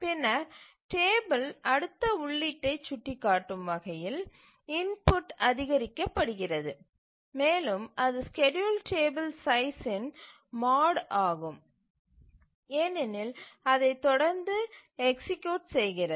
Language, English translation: Tamil, And then the entry is augmented to point to the next entry in the table and it is mod of the schedule table size because it just keeps on executing that